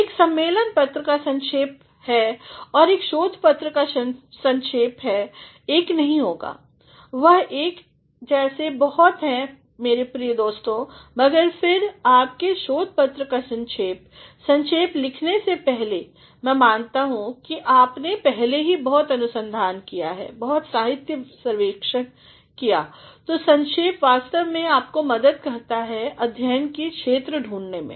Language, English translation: Hindi, The abstract of a conference paper and the abstract of a research paper are not the same, they are very similar my dear friends, but then the abstract of your research paper before writing the abstract, I assume that you have already done a lot of research, a lot of literature survey